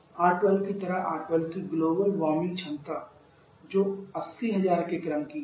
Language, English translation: Hindi, Like R12 global warming potential of R12 that is of the order of 8000